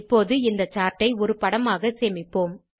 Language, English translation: Tamil, Let us now save this chart as an image